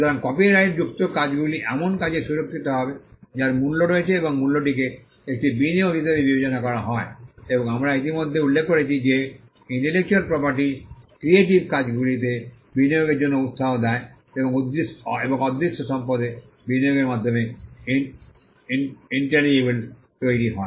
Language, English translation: Bengali, So, copyrighted works are expected to protect works that have value and the value is regarded as an investment and we had already mentioned that a intellectual property gives incentives for investing into the creative works and intangibles are created by investments made in intangible assets